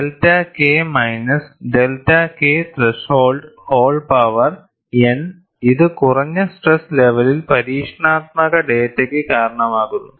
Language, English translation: Malayalam, And delta K minus delta K threshold whole power whole power n it accounts for experimental data at low stress levels